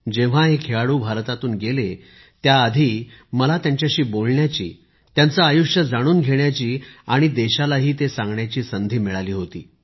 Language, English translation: Marathi, " When these sportspersons had departed from India, I had the opportunity of chatting with them, knowing about them and conveying it to the country